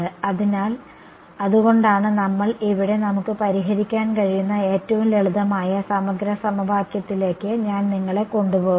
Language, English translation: Malayalam, So, that is why we are, I am making taking you to the simplest integral equation that we can solve over here there are right ok